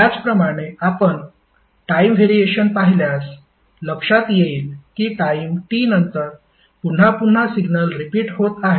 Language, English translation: Marathi, Similarly if you see the time variation you will see that the signal is repeating again after the time T